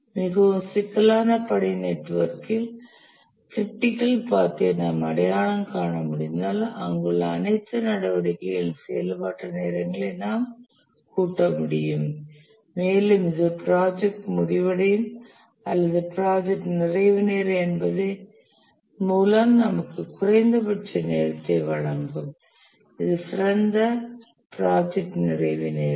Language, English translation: Tamil, If we can identify the critical path on a very complex task network, then we can sum all the activities there, activity times, and that will give us the minimum time by the project will get completed or the project completion time